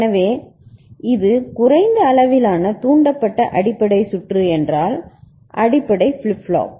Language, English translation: Tamil, So, if it is low level triggered basic circuit, basic flip flop ok